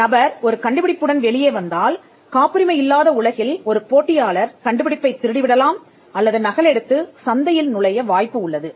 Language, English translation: Tamil, In a world where there are no patents if a person comes out with an invention, there is all likelihood that a competitor could steal it or copy it and enter the market